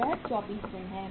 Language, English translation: Hindi, This is 24 days